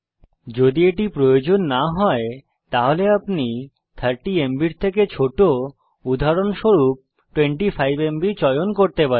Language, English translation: Bengali, If this is not a requirement, you may choose a number smaller than 30MB for eg 25 MB